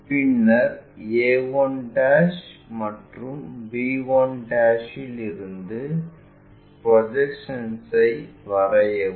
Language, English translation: Tamil, Then draw projections from a 1' and b 1'